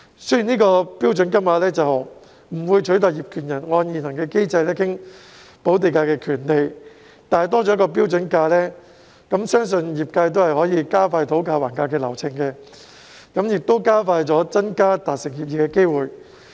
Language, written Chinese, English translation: Cantonese, 雖然有關的"標準金額"不會取代業權人按現行機制討論補地價的權利，但有了"標準金額"，相信可以加快業界討價還價的流程，同時增加達成協議的機會。, Although the relevant standard rates will not replace the rights of title owners in negotiating land premium in accordance with the existing mechanism it is believed that with the standard rates the industry can speed up the bargaining process and increase the likelihood of reaching an agreement